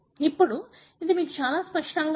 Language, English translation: Telugu, So, now it is very, very obvious for us